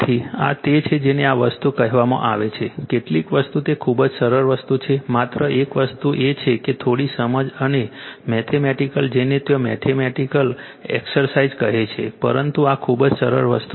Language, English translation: Gujarati, So,so, this are your what you call these are the things certain things it is very simple thing only thing is that that little bit of understanding and mathematical your what you callmathematical exercise there, but these are the very simple thing right